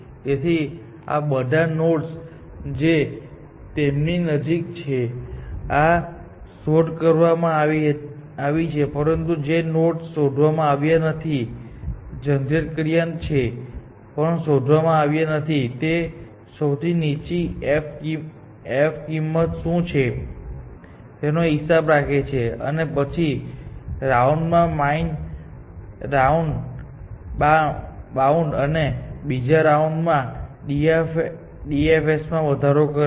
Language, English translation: Gujarati, So, with all these nodes, which it has; this is explored; this is explored, but all these nodes, which is not explored, generated but not explored; it keeps track of a what is the lowest f value and increments the bound to that in the next round, and does another depth first search